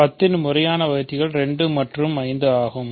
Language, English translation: Tamil, So, proper divisors of 10 are 2 and 5